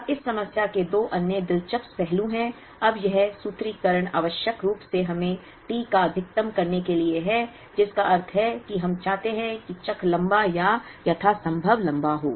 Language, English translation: Hindi, Now, there are two other interesting aspects to this problem, now this formulation essentially us to maximize T, which means we want the cycles to be as lengthy or as long as possible